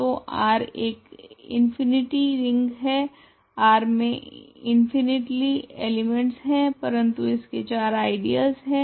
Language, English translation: Hindi, So, R is an infinite ring of course, R has infinitely many elements, but it has four ideals